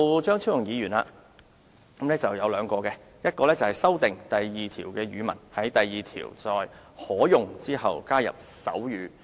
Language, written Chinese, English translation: Cantonese, 張超雄議員提出了兩項修訂，第1項是修訂第2條，在"可用"之後加入"手語、"。, Dr Fernando CHEUNG proposes two amendments and the first one proposed to RoP 2 Language seeks to add sign language after either